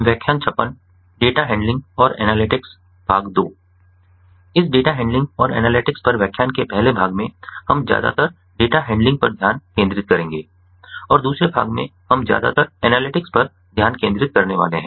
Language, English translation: Hindi, so in this lecture on data analysis and sorry data handling and analytics, in the first part we will focused mostly on data handling and in the second part we are going to focus mostly on the analytics